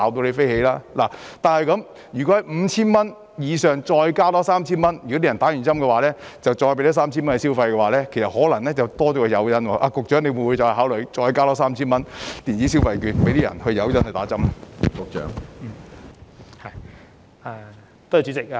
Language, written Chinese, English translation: Cantonese, 然而，如果在 5,000 元以上再多加 3,000 元，即市民接種後便再多給他們 3,000 元消費，便可能會多加一個誘因，局長會否再考慮多加 3,000 元電子消費券作為誘因，令市民接種疫苗呢？, Nevertheless if the Government offers additional vouchers worth 3,000 on top of the 5,000 that is an additional 3,000 worth of vouchers in return for vaccination it is possible that it will become an extra incentive . In this connection will the Secretary consider disbursing the additional electronic consumption vouchers worth 3,000 as an incentive to encourage the public to receive the jab of vaccination?